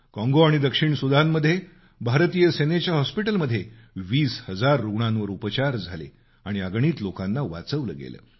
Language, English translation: Marathi, In Congo and Southern Sudan more than twenty thousand patients were treated in hospitals of the Indian army and countless lives were saved